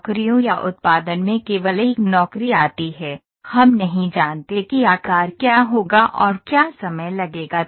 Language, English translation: Hindi, In jobs or production only one job come we do not know what will be the size and what will be the time that would be taken